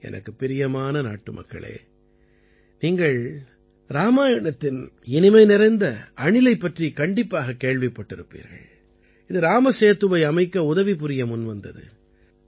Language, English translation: Tamil, My dear countrymen, you must have heard about the tiny squirrel from the Ramayana, who came forward to help build the Ram Setu